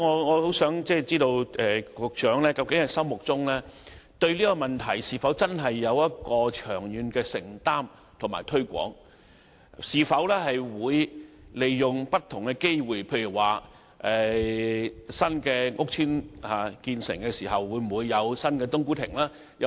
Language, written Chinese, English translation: Cantonese, 我想知道，局長對這問題是否真的有長遠的承擔，會積極推廣，以及利用不同的機會，例如新屋邨落成後會否有新的"冬菇亭"？, I would like to know whether the Secretary really has a long - term commitment on this issue and will conduct active promotion as well as utilize different opportunities . For example will there be new cooked food kiosks after the completion of new housing estates?